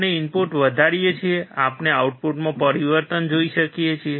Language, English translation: Gujarati, We increase the input; we see change in output